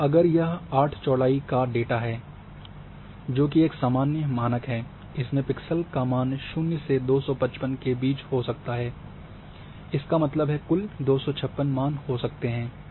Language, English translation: Hindi, So, if it is 8 width data which is quiet common standard one, then the values the pixel values can vary between 0 to 255; that means, total numbers of 256 values can be there